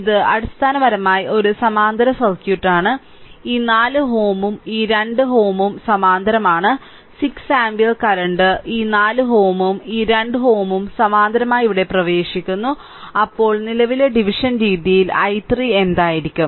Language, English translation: Malayalam, So, this is basically a parallel circuit, this 4 ohm and this 2 ohm there are in parallel right and 6 ampere current is entering here this 4 ohm and 2 ohm are in parallel, then what will be then if current division method what will be i 3